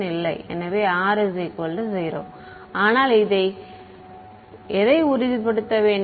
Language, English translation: Tamil, So, R is equal to 0 ok, but what do you have to ensure